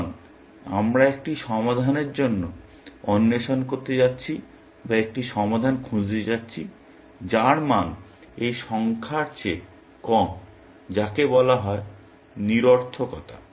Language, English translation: Bengali, So, we are going to explore for a solution or look for a solution, whose value is less than this number called futility